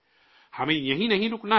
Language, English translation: Urdu, We must not stop here